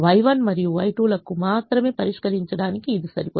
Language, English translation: Telugu, it is enough to solve only for y one and y two